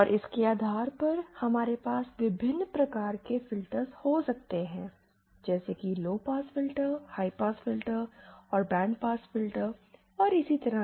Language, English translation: Hindi, And based on this we can have various types of filters like lowpass filters, high pass filters and bandpass filters and so on